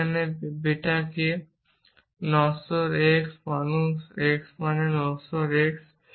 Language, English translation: Bengali, What is beta here, mortal x man x implies mortal x